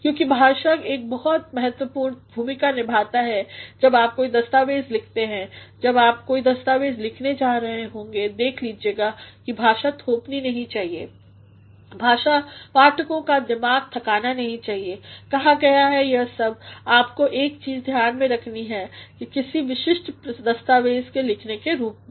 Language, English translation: Hindi, Because language plays a major role when you are writing any documents and when you are going to write any documents see to it that the language should not be imposing the language should not tire the mind of the readers have said